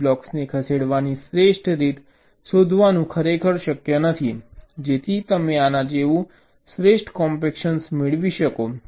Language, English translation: Gujarati, so it is not really feasible to find out the best way to move the blocks so that you can get the best compaction like this